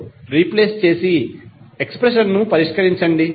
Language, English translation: Telugu, 5 and solve the expressions